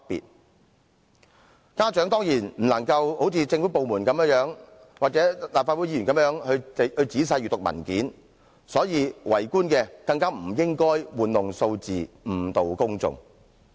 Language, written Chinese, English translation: Cantonese, 由於家長不能像政府部門或立法會議員仔細閱讀有關文件，政府官員更不應玩弄數字，誤導公眾。, As parents cannot read the relevant documents in detail like government departments or Legislative Council Members government officials should not play tricks with the figures to mislead the public